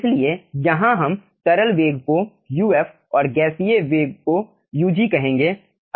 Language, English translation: Hindi, so here you will be calling the liquid velocity as uf and gaseous velocity as ug